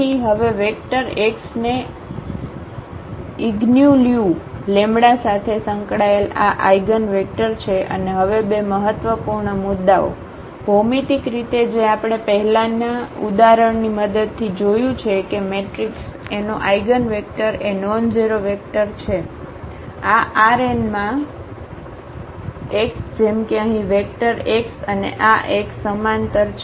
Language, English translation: Gujarati, So, now the vector x is the eigenvector associated with this eigenvalue lambda and the two important points now, the geometrically which we have already seen with the help of earlier example that an eigenvector of a matrix A is a nonzero vector, x in this R n such that the vectors here x and this Ax are parallel